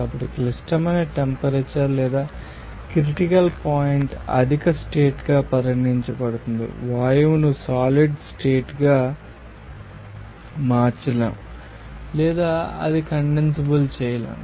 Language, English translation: Telugu, So, the critical temperature or critical point will be regarded as a condition higher, the gas cannot be changed into a solid state or it cannot be condensable